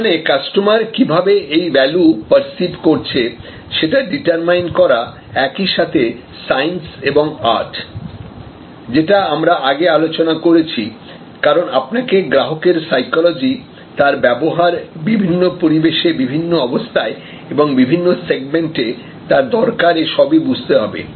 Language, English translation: Bengali, And so this is determining the value as perceive by the customer is science as well as art that has been discussed earlier, because you have to understand customer psychology, customers behavior, consumer or requirement under different circumstances, under in different situations and for different segments